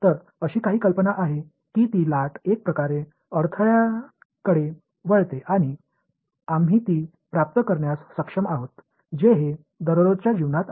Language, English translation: Marathi, So, there is some idea that the wave is somehow bending around obstacles and we are able to receive it this is in day to day life